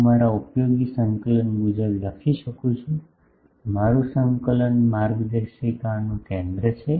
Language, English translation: Gujarati, I can write according to my using coordinate, my coordinate is a center of the guide